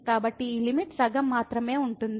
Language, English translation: Telugu, So, this limit will be just half